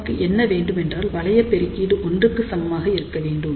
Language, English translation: Tamil, And what we want we want the loop gain should be equal to 1 ok